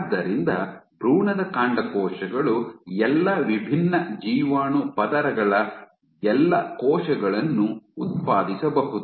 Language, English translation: Kannada, So, embryonic stem cells can generate all cells of all different germ layers